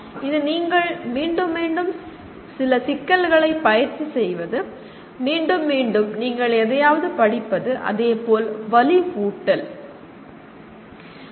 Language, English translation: Tamil, That is practicing some problems you keep on repeating, repeatedly you read something and similarly “reinforcement”